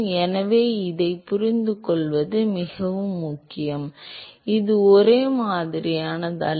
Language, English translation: Tamil, So, it is very important to understand this it is not same it is similar